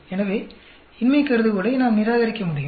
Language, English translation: Tamil, So, we can reject the null hypothesis